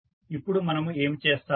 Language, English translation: Telugu, Now, what we will do